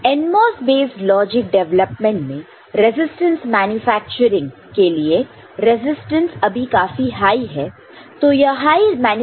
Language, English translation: Hindi, And what people have done they in the NMOS based logic development, this resistance manufacturing because now the resistances are very high